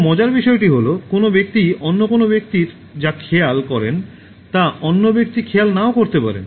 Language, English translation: Bengali, The other interesting thing is that, some people do not note what some others note in a person